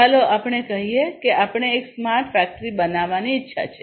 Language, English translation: Gujarati, So, let us say that we want to build a smart factory right